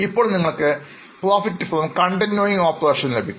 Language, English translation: Malayalam, So, you get profit from continuing operations